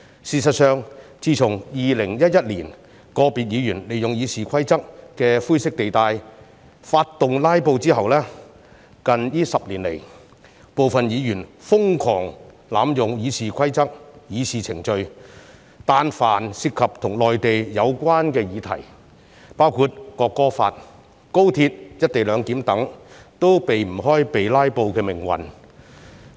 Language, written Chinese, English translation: Cantonese, 事實上，自從2011年，個別議員利用《議事規則》的灰色地帶發動"拉布"之後，近10年來，部分議員瘋狂濫用《議事規則》的議事程序，但凡涉及跟內地有關的議題，包括《國歌法》、高鐵"一地兩檢"等也無法避開被"拉布"的命運。, As a matter of fact since 2011 certain Members had made use of the grey area of the Rules of Procedure to stage filibusters . And in the past decade some Members had been insanely abusing the Rules of Procedure . Whenever a topic was related to the Mainland such as the National Anthem Law the Co - location Arrangement of the Express Rail Link and so on they were all subject to filibuster